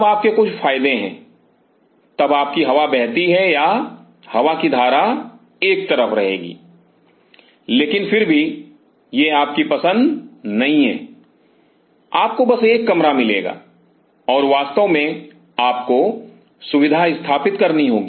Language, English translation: Hindi, Then you have few advantages then your wing flow or the current air current will remain contain in one site, but nevertheless that is not in your choice you will get a room and you have to really set of the facility